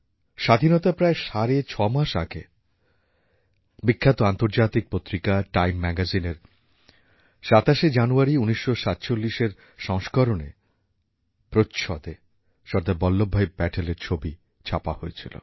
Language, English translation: Bengali, Six months or so before Independence, on the 27th of January, 1947, the world famous international Magazine 'Time' had a photograph of Sardar Patel on the cover page of that edition